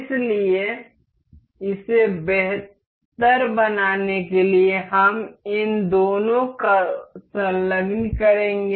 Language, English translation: Hindi, So, just to make it better we will just attach both of these